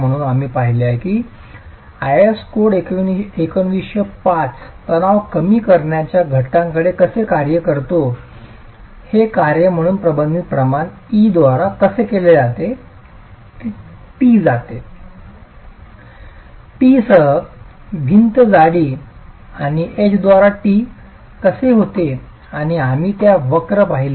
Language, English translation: Marathi, So, we did see how the IS code 1905 looks at stress reduction factor as a function of what the eccentricity ratio E by T with T as the wall thickness and H by T was and we saw those curves